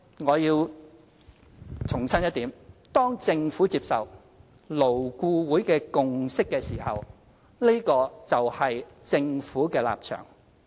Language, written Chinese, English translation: Cantonese, 我要重申一點，當政府接受勞顧會的共識時，這個就是政府的立場。, I must reiterate that after the consensus of LAB has been accepted by the Government it represents the stance of the Government